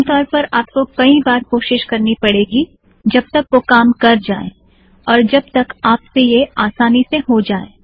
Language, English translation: Hindi, Typically, you may have to try a few of them until it actually works and until you become comfortable